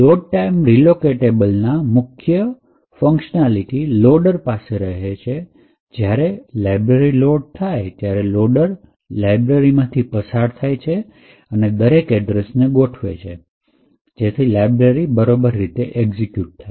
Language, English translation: Gujarati, In the Load time relocatable the main functionality rests with the loader, where, when the library gets loaded, the loader would pass through the library and adjust each address properly, so that the library executes in the right expected manner